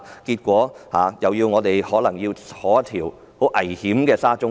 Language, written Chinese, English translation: Cantonese, 結果就是我們將來可能要乘搭十分危險的沙中線。, The outcome will be we may have to ride on the extremely unsafe SCL